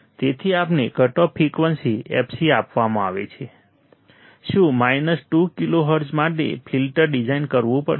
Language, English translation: Gujarati, So, we have to design a filter for the cut off frequency fc is given, what 2 kilohertz